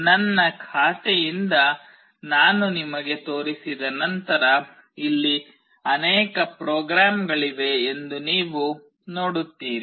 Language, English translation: Kannada, Once I show you from my account you will see that there are many programs that are written here